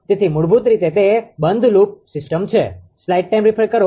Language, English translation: Gujarati, So, basically it is a closed loop system